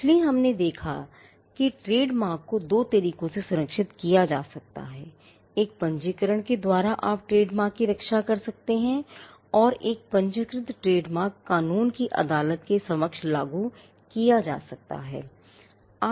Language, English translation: Hindi, So, we have seen that, trademarks can be protected by two means, by a registration you can protect trademarks and a registered trademark can be enforced before a court of law